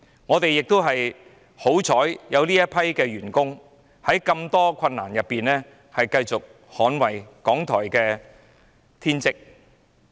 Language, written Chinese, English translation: Cantonese, 我們慶幸有這群員工在這麼多困難中繼續克盡捍衞港台的天職。, We are lucky to have this team of people who have persistently exerted themselves in performing their bounden duty of defending RTHK despite so many hardships